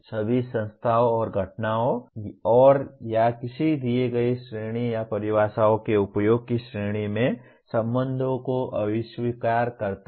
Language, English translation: Hindi, Denotes all of the entities and phenomena and or relations in a given category or class of using definitions